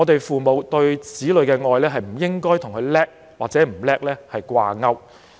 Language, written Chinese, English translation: Cantonese, 父母對子女的愛不應該與子女是否優秀掛鈎。, The love of parents for their children should not be linked to whether the children are outstanding